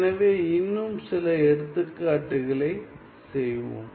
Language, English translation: Tamil, So, let us do some more examples